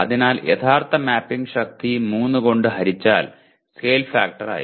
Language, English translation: Malayalam, So the actual mapping strength divided by 3 is the scale factor